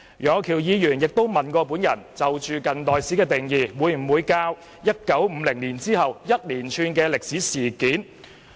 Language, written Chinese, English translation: Cantonese, 楊岳橋議員詢問我，近代史會否教授1950年後發生的連串歷史事件。, Mr Alvin YEUNG asked whether a series of historical incidents which occurred after 1950 will be covered under the scope of modern history